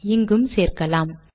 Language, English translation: Tamil, Let me add this